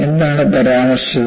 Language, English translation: Malayalam, What was mentioned